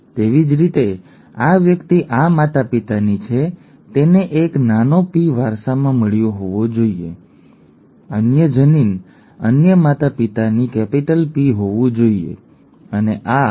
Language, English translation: Gujarati, Similarly, this person is from this parent therefore must have inherited a small p, and this, the other allele must have been a capital P from the other parent, okay